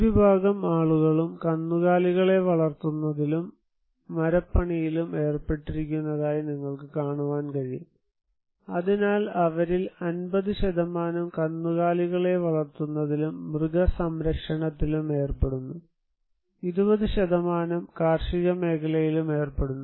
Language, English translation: Malayalam, You can see that most of the people are involved in cattle rearing and wood cravings, so 50% of them are in cattle rearing and animal husbandry and some are also involved in agriculture around 20% of populations